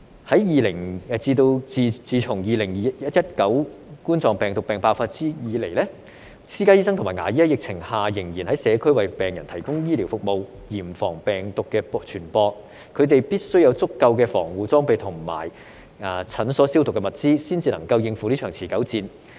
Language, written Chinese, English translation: Cantonese, 自從2019冠狀病毒病爆發以來，私家醫生和牙醫在疫情下仍然在社區為病人提供醫療服務，嚴防病毒的傳播，他們必須有足夠的防護裝備和診所消毒的物資，才能應付這一場持久戰。, Since the outbreak of COVID - 19 private doctors and dentists have been providing healthcare services to patients in the community during the epidemic to strictly prevent the spread of the virus . These doctors and dentists must have sufficient protective gear and disinfectants in their clinics before they can fight this protracted battle